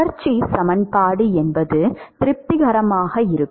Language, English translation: Tamil, The continuity equation will always be satisfied